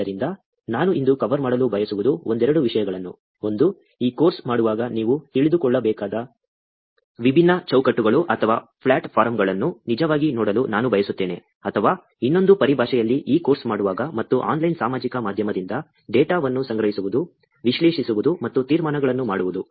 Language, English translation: Kannada, So, what I want to cover today is a couple of things; one, I wanted to actually look at different frameworks or platforms, that you would get to know while doing this course, or in another terms, you should know while doing this course, and collecting data from online social media, analyzing and making inferences